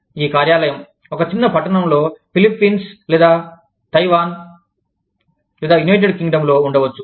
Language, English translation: Telugu, The office may be, in a small town, in say, the Philippines, or in say, Taiwan, or in say, the United Kingdom